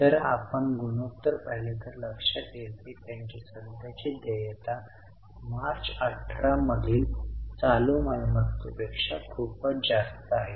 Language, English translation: Marathi, If you look at the ratio, you will realize that their current liabilities are much higher than current assets in March 18